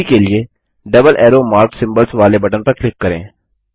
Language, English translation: Hindi, For now, let us click on the button with double arrow mark symbols